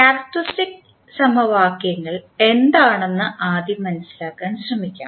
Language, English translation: Malayalam, First let us try to understand what is characteristic equations